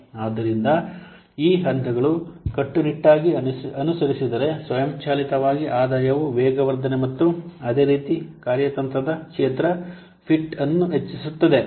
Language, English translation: Kannada, So, those steps if we will follow strictly then automatically the revenue will be enhanced on the accloration and similarly strategic fit